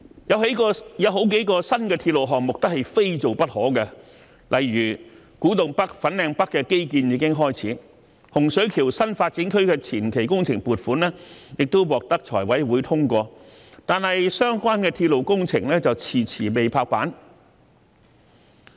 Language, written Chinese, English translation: Cantonese, 有好幾個新鐵路項目都是非做不可，例如古洞北和粉嶺北的基建已經開始，洪水橋新發展區的前期工程撥款亦獲財委會通過，但相關的鐵路工程卻遲遲未拍板。, There are several new railway projects that must be carried out . For example the infrastructure works in Kwu Tung North and Fanling North have already started; the funding application of the preliminary works of the Hung Shui Kiu NDA has also been approved by the Finance Committee and yet the railway project concerned has not been finalized after a protracted period of time